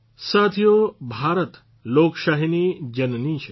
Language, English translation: Gujarati, Friends, India is the mother of democracy